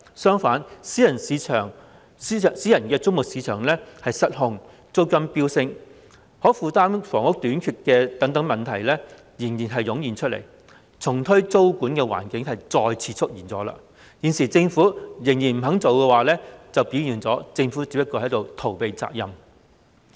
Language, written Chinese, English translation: Cantonese, 相反，私人租務市場失控、租金飆升、可負擔房屋短缺等問題接連湧現，重推租務管制的環境再次出現，但現時政府仍不重推租務管制，反映了政府只是在逃避責任。, On the contrary the private rental market is out of control with problems such as soaring rents and shortage of affordable housing emerging one after another . The circumstances warranting the reintroduction of tenancy control have again surfaced . However the Government still does not reintroduce tenancy control reflecting that the Government is only evading its responsibilities